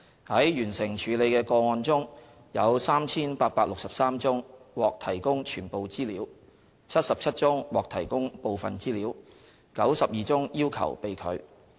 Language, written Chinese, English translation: Cantonese, 在完成處理的個案中，有 3,863 宗獲提供全部資料 ，77 宗獲提供部分資料 ，92 宗要求被拒。, For cases which had been completed 3 863 requests were met in full 77 requests were met in part and 92 requests were refused